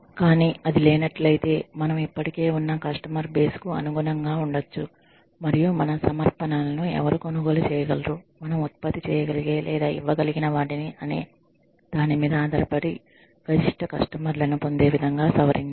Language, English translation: Telugu, But, if it does not exist, we may have to adapt to the existing customer base, and modify our offerings in a way, that we get maximum customers from, who can buy, whatever we are able to produce or give them